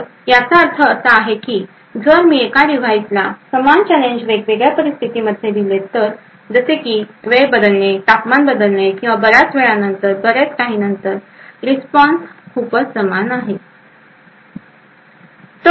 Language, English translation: Marathi, So, what this means is that if I provide the same challenge to the same device with different conditions like change of time, change of temperature or after a long time or so on, the response is very much similar